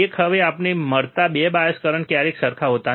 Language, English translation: Gujarati, One, now the 2 bias currents that we get are never same, right